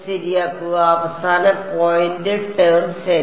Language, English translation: Malayalam, Correct dx and the end points term ok